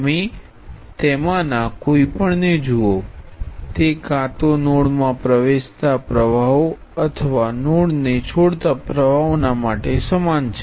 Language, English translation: Gujarati, You look at any one of them this is analogous to either looking at currents entering the node or currents leaving the node